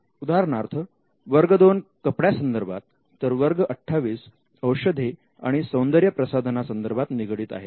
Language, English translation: Marathi, For example, class 2 deals with articles of clothing, and class 28 deals with pharmaceuticals and cosmetics